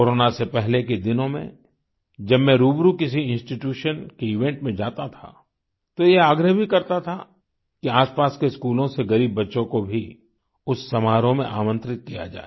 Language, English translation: Hindi, Before Corona when I used to go for a face to face event at any institution, I would urge that poor students from nearby schools to be invited to the function